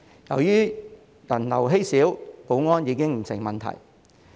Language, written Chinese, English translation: Cantonese, 由於人流稀少，保安已經不成問題。, Due to low people flow security is no longer a problem